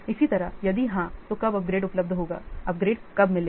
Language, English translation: Hindi, Similarly, when will the upgrade be available